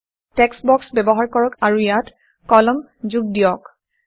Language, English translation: Assamese, Use text boxes and add columns to it